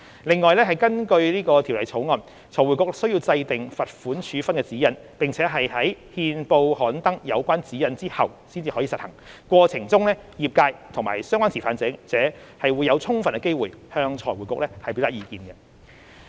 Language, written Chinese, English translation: Cantonese, 另外，根據《條例草案》，財匯局須制訂罰款處分的指引，並在憲報刊登有關指引後才實行，過程中業界和相關持份者會有充分機會向財匯局表達意見。, Besides under the Bill FRC is required to formulate guidelines on the imposition of pecuniary penalties which will be published in the Gazette before implementation . The industry and relevant stakeholders will have ample opportunities to express their views to FRC during the process